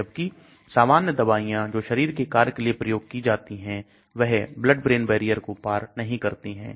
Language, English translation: Hindi, Whereas normal drugs which are used for our body functions should not be crossing the blood brain barrier